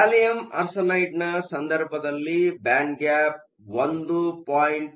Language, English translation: Kannada, In the case of gallium arsenide, the band gap is 1